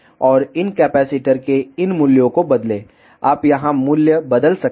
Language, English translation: Hindi, And change these values of these capacitors you can change the value here